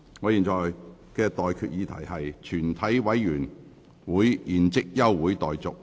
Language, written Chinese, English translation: Cantonese, 我現在向各位提出的待決議題是：全體委員會現即休會待續。, I now put the question to you and that is That further proceedings of the committee be now adjourned